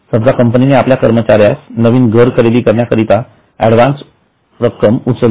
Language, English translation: Marathi, For example, suppose company gives advance to employee to purchase new house